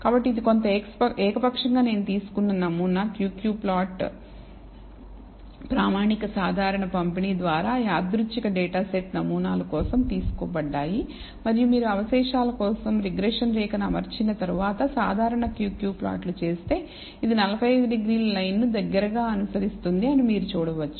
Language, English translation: Telugu, So, this is a sample Q Q plot I have taken for some arbitrary random data set samples drawn from the standard normal distribution and you can see that if you do the normal Q Q plot for the residuals after fitting the regression line, it seems to closely follow the 45 degree line